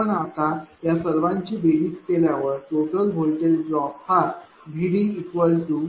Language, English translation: Marathi, If you now add all these things therefore, total voltage drop V D A plus V D B plus V D C it becomes 1